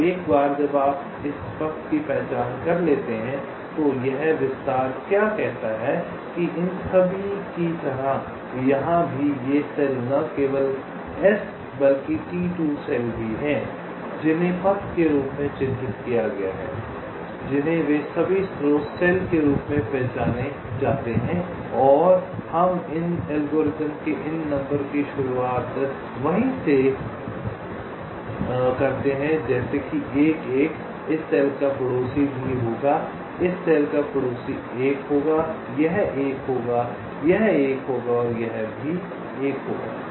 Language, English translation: Hindi, right now, once you have identified this path, what this extinction says is that all these, like here, all these cells, not only s also t two, and also these cells which have been marked as the path, they are all identified as the source cell and we start these algorithm by numbering, starting from there, like one